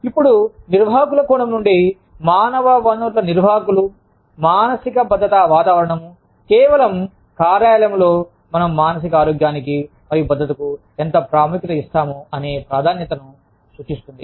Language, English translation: Telugu, Now, from the perspective of managers, human resources managers, psychological safety climate, just refers to the weight, how much of importance, we give to psychological health and safety, in the workplace